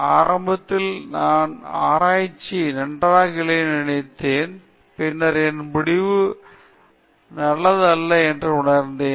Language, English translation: Tamil, Initially I thought that my research is not that much good, my results are not that much good